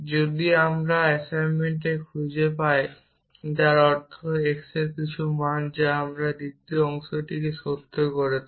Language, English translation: Bengali, If we can find some assignments which means some value of x which make this second part true